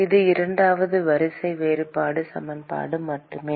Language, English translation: Tamil, It is just a second order differential equation